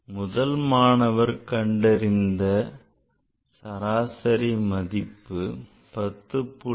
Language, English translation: Tamil, So, student one, so, he found the average of A that is 10